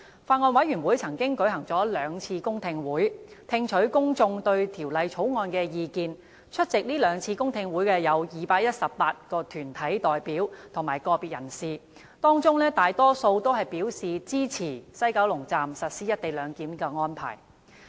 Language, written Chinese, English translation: Cantonese, 法案委員會曾舉行兩次公聽會，聽取公眾對《條例草案》的意見，共有218名團體代表及個別人士出席，當中大多數表示支持西九龍站實施"一地兩檢"的安排。, In an effort to gauge the public opinion on the Bill the Bills Committee has held two public hearings with attendees comprising 218 deputations and individuals in total and most of them expressed support for implementing the co - location arrangement at WKS